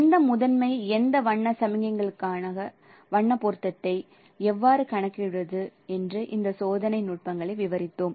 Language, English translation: Tamil, So we have described this experimental techniques that how to compute the color match for any color signal for any set of primary colors